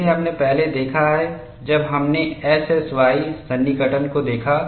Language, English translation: Hindi, See, we have seen earlier when we looked at SSY approximation